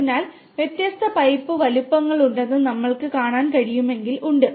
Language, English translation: Malayalam, So, there are if you can see there are different pipe sizes